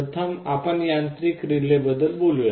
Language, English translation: Marathi, First let us talk about mechanical relay